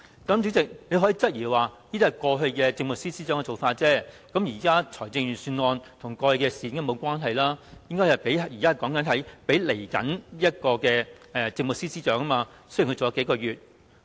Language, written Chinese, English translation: Cantonese, 主席可能會質疑，這是過去政務司司長的做法，現時財政預算案跟過去的事無關，我們應討論供現任政務司司長在未來的日子使用的撥款，儘管他的任期只餘數個月。, The Chairman might query this point of mine wondering that this is work of the past Chief Secretary for Administration and that the current Budget has nothing to do with issues of the past . We should discuss the funding that would be used by the incumbent Chief Secretary for Administration in the days to come albeit there are only several months left of his tenure